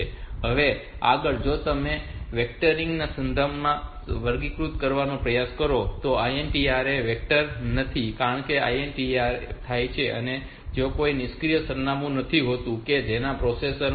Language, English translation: Gujarati, Next is if you try to classify with respect to the vectoring, so INTR is not vectored because so when INTR occurs there is no fixed address to which the processor with jump compared to 5